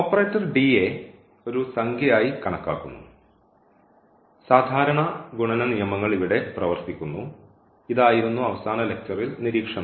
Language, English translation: Malayalam, So, treating the operator D as a number, the ordinary this laws of multiplication works and this was the observation from the last lecture